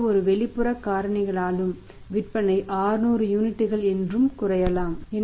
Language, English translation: Tamil, It may possible that because of any external factors sales have declined to say 600 units